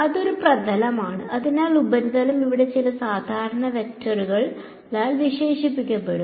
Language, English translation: Malayalam, And it is a surface; so surface is going to be characterized by some normal vector over here ok